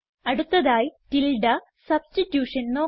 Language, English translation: Malayalam, The next thing we would see is called tilde substitution